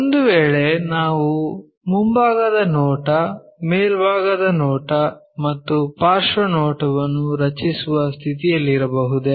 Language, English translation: Kannada, If that is the case can we be in a position to draw a front view, a top view, and a side view